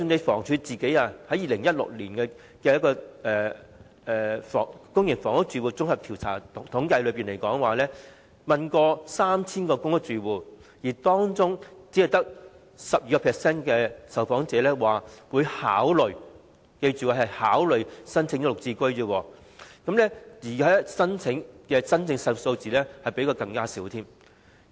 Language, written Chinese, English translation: Cantonese, 房屋署在2016年進行公營房屋住戶綜合統計調查，訪問了 3,000 名公屋住戶，當中只有 12% 受訪者表示會考慮——記着是"考慮"——申請"綠置居"，而真正的申請數字是更少的。, In the Public Housing Recurrent Survey conducted in 2016 by the Housing Department among 3 000 PRH residents interviewed only 12 % said they would consider―note consider―applying for GSH flats and the actual number of applications would be smaller